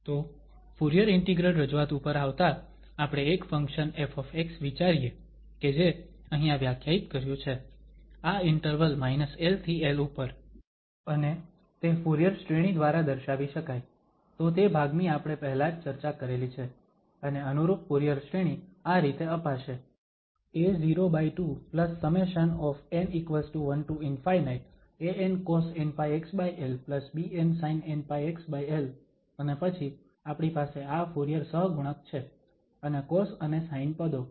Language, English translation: Gujarati, So, coming to the Fourier integral representation, we consider a function f x which is defined here, on this interval minus l to l and that can be represented by the Fourier series, so that part we have already discussed and the corresponding Fourier series will be given as a naught by 2 and then we have these Fourier coefficients and cos and sine